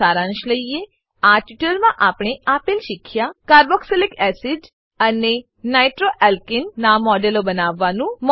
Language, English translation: Gujarati, Lets summarize: In this tutorial we have learnt to * Create models of carboxylic acid and nitroalkane